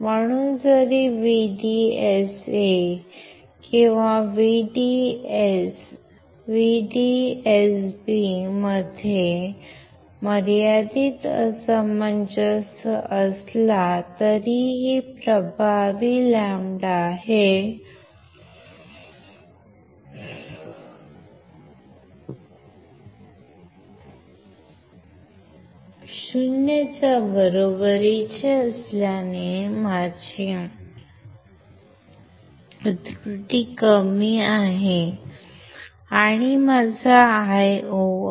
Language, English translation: Marathi, So, even there is a finite mismatch between VDS1 or VDS N VDS b, since lambda effective equals to 0, my error is less, and my Io will be equals to I reference